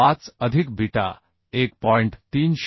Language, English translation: Marathi, 25 plus beta is 1